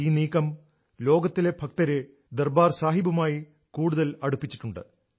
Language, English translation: Malayalam, With this step, the Sangat, the followers all over the world have come closer to Darbaar Sahib